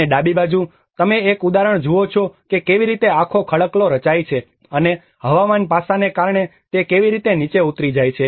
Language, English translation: Gujarati, \ \ \ And on the left hand side, you see an example of how the whole rock formation and because of the weathering aspect how it chips down